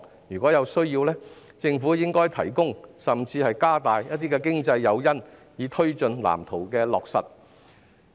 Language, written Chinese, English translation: Cantonese, 如有需要，政府應提供甚至加大經濟誘因，以推進藍圖的落實。, Where necessary the Government should provide and even increase financial incentives to push forward the implementation of the Plan